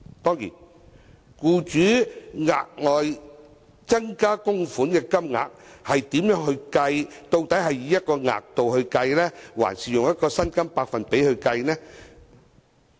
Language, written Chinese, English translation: Cantonese, 當然，應如何計算僱主額外增加供款的金額，究竟是以一個額度計算，還是以薪金百分比計算呢？, How should the amount of additional contribution to be made by employers be calculated? . Should it be based on a certain limit or percentage of wages?